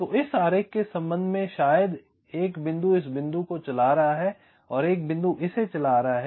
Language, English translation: Hindi, so, with respect to this diagram, maybe one point is driving this point, one point is driving this